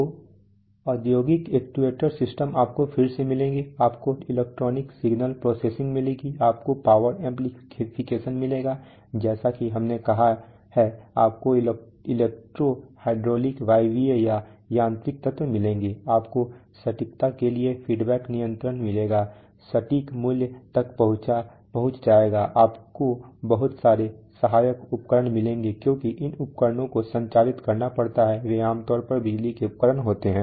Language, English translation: Hindi, So the industrial actuator systems you will find again you will find electronic signal processing, you will find power amplification, as we have said, you will find electro hydraulic pneumatic or mechanical elements, you will find feedback control for precision, exact value will be reached, you will find lots of auxiliaries because these device have to operated they are generally power devices